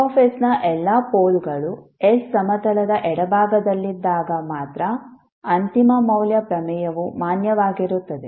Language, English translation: Kannada, The final value theorem will be valid only when all polls of F s are located in the left half of s plane